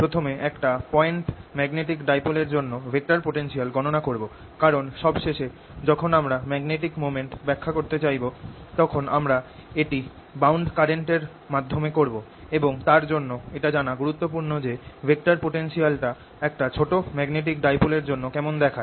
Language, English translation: Bengali, i'll first calculate the vector potential for a point magnetic dipole, because finally, when we want to interpret the magnetic moment, we'll do it through bound currents and so on, and for that it is important that we know what the vector potential looks like for a small magnetic dipole